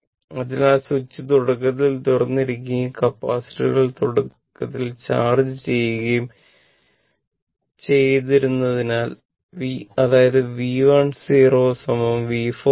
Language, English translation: Malayalam, So, if you if that the switch was initially open right and capacitor that your charged capacitors are initially uncharged right, so; that means, V 1 0 is equal to your V 4 0 is equal to 0